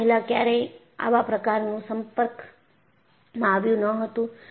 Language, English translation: Gujarati, You know, you never had this kind of an exposure earlier